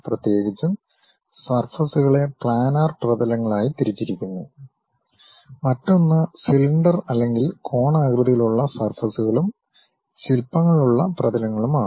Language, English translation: Malayalam, Especially, surfaces are categorized into planar surfaces, other one is cylindrical or conical surfaces and sculptured surfaces we call